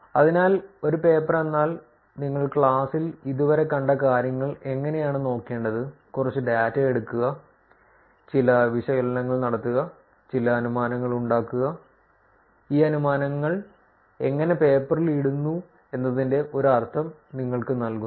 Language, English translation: Malayalam, So, that gives you a sense of how a paper meaning the things that you have seen in the class until now which is to look at take some data do some analysis, make some inferences, how these inferences are put into paper is what we saw in this particular lecture